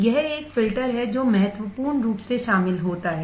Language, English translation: Hindi, It is a filter that significantly attenuates